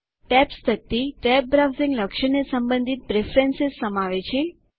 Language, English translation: Gujarati, The Tabs panel contains preferences related to the tabbed browsing feature